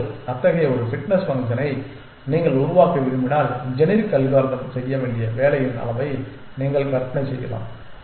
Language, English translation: Tamil, Now, if you want to devise such a training such a fitness function you can imagine the amount of work the generic algorithm has to do